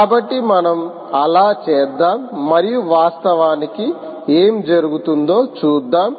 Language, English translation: Telugu, so lets do that and see what actually happens